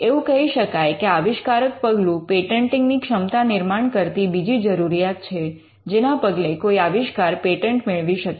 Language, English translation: Gujarati, The inventive step requirement is the you can say it is the second requirement of patentability for something to be granted a patent